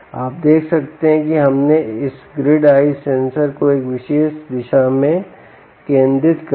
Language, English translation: Hindi, let us first focus this grid eye sensor on one particular, in one particular direction